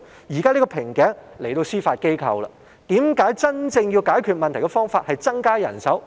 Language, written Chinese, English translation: Cantonese, 現時瓶頸在司法機構，為何真正解決問題的方法不是增加人手？, And now it is the Judiciary which is facing a bottleneck in manpower but why increasing manpower is not taken as the real solution then?